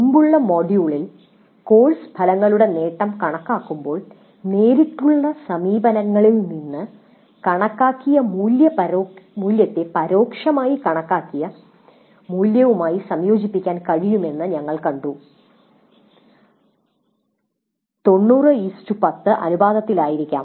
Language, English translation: Malayalam, In the earlier module we have seen that when we compute the attainment of course outcomes, we can combine the value computed from direct approaches with the value computed indirectly, maybe in the ratio of 90 10